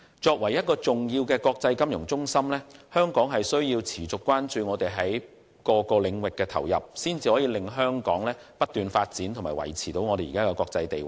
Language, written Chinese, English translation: Cantonese, 作為重要的國際金融中心，香港需要持續關注我們在各個領域的投入，才能令香港不斷發展和維持現時的國際地位。, As an important international financial centre Hong Kong needs to pay continuous attention to our investments in various fields so as to enable Hong Kong to continue to develop and maintain its current international status